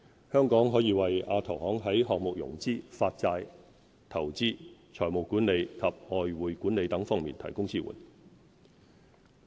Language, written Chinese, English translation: Cantonese, 香港可以為亞投行在項目融資、發債、投資、財務管理及外匯管理等方面提供支援。, Hong Kong can support AIIB in such areas as project financing bond issuance investment financial management and foreign exchange management